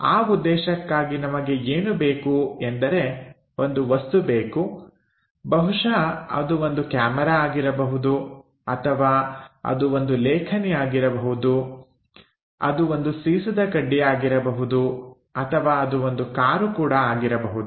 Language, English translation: Kannada, For that purpose what we require is we require an object perhaps it can be camera, it can be a pen, it can be pencil, or it can be a car also